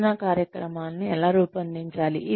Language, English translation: Telugu, How do we present the training